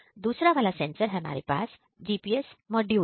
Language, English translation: Hindi, And the other now we have the GPS module